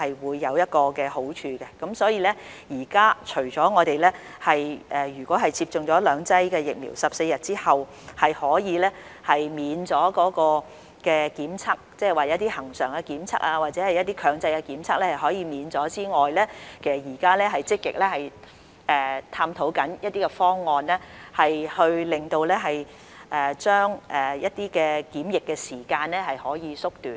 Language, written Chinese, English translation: Cantonese, 所以，現時除了已接種兩劑疫苗的在14天之後可以豁免檢測，即一些恆常的檢測或一些強制檢測可以免卻之外，其實我們現時正積極探討一些方案將檢疫時間縮短。, Therefore apart from possibly exempting those vaccinated with two doses from testing after 14 days from the second vaccination that is waiving some regular tests or mandatory tests we are in fact actively exploring some options to shorten the quarantine period